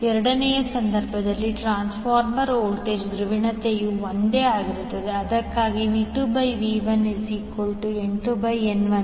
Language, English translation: Kannada, In the second case the transformer voltage polarity is same that is why V2 by V1 is equal to N2 by N1